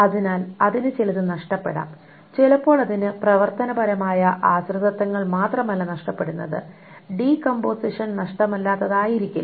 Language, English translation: Malayalam, So it can lose certain, sometimes it can lose not just functional dependencies, the decomposition may not be lossless